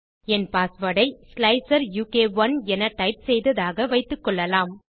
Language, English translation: Tamil, At the moment, lets say I typed in my password as slicer u k 1